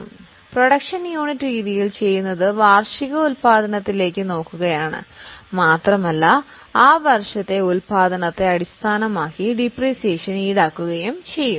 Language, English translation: Malayalam, Now in production unit method what we are doing is we are looking at the annual production and the depreciation will be charged based on the production in that year